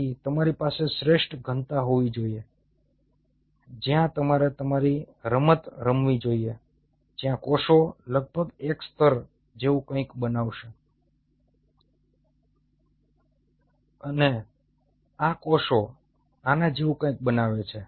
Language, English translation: Gujarati, so you have to have an optimal density where you should play your game, where the cells will form almost something like a mono layer and these cells form something like this